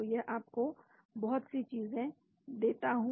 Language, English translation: Hindi, So, it gives you lot of things